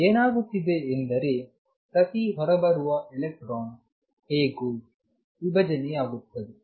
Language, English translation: Kannada, And what that means, is that each electron is interfering with itself